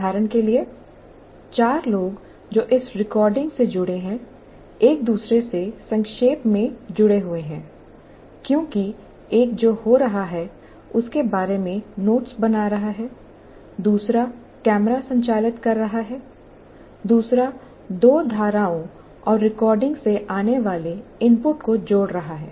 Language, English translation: Hindi, For example, the four people that are associated with this recording, they are briefly interrelated to each other because one is kind of making notes about what is happening, another one is operating the camera, the other one is combining the inputs that come from two streams and trying to record